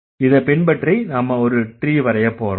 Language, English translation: Tamil, So, following this we are going to draw the tree